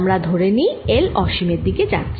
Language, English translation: Bengali, let's take the limit l going to infinity